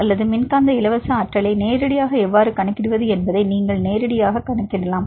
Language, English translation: Tamil, Or you can directly calculate how to calculate directly the electrostatic free energy